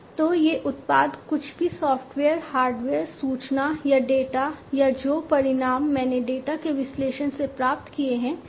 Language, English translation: Hindi, So, these products can be anything software, hardware, information or the data, the results that I have obtained from the analysis of the data